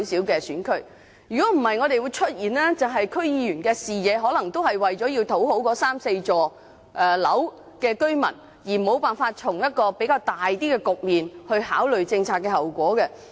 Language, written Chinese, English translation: Cantonese, 否則，區議員的視野只會局限於為了討好三四幢樓宇的居民，沒有辦法從較高較廣的層面去考慮政策後果。, Otherwise the vision of DC members will only be confined to pleasing the residents of those three or four buildings and they would fail to contemplate the consequences of policies from a higher and broader perspective